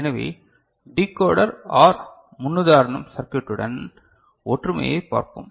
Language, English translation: Tamil, So, let us see the similarity with Decoder OR you know paradigm, circuit